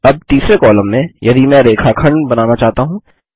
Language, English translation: Hindi, Now In the third column if i want to create the line segment